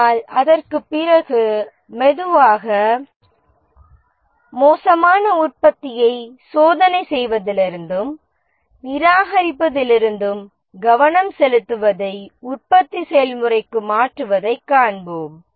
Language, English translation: Tamil, But after that, slowly we will see that the focus has shifted from testing and rejection of the bad product to the process of manufacturing